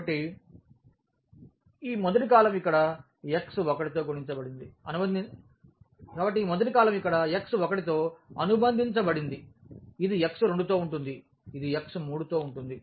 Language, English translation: Telugu, So, this first column is associated with x 1 here, this is with x 2, this is with x 3